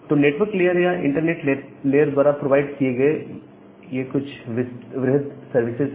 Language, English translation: Hindi, So, that are the broad services which are being provided by the network layer or the internet layer